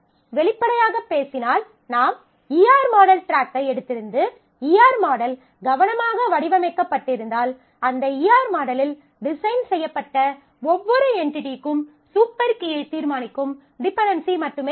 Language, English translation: Tamil, So, if we have taken the ER model track, then frankly speaking if the ER model is carefully designed, then every entity defined in that ER model will have only the dependency; which are the determining super key